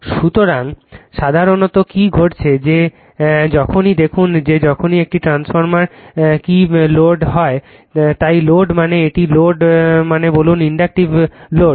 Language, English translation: Bengali, So, generally what happened that whenever look at that whenever a transformer your what you call is loaded, so load means say it load means say inductive load